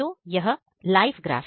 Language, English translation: Hindi, So, here is a live graph